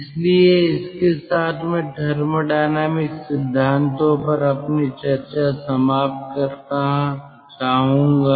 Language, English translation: Hindi, so with this i like to ah conclude or end our discussion on thermodynamic principles